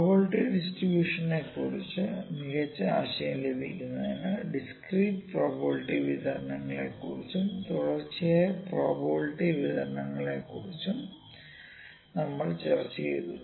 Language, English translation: Malayalam, So, to recapitulate within what are the probabilities density functions, we discussed about a few discrete probability distributions, then we discussed about a few continuous probability distributions